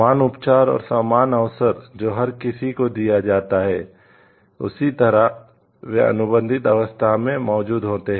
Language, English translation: Hindi, Like equal treatment and equal opportunity given to everyone who has an establishment they are present in the contracting state